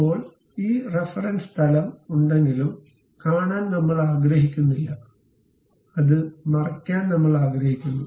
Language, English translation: Malayalam, Now, I do not want to really see this reference plane though it is there; I would like to hide it